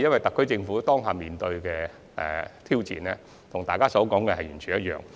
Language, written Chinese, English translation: Cantonese, 特區政府目前面對的挑戰，與大家所說的相同。, The challenges currently faced by the SAR Government have been mentioned by Members